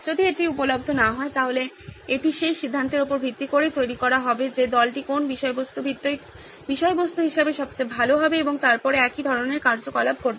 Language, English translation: Bengali, If that is not available, then it would be based on the decision that team is taking as to whose content would be the best to be the base content and then the similar activity will happen on that